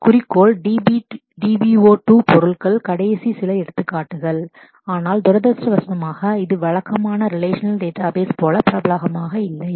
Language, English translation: Tamil, Objectivity DBO 2 objects store are some of the examples, but unfortunately this is have not been as popular as a regular relational databases